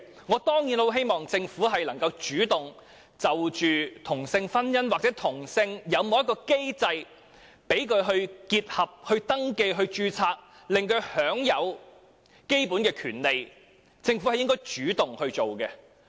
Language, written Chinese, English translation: Cantonese, 我當然希望政府會主動就同性婚姻提供一項機制，讓他們可以結合，辦理婚姻登記或註冊，使他們也享有基本權利，這是政府應該主動做的事情。, Of course I hope that the Government will proactively provide a mechanism for same - sex marriage so that they can get married register their marriage and enjoy the fundamental rights too . This is something the Government should take the initiative to do